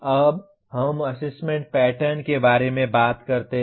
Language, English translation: Hindi, Now we talk about assessment pattern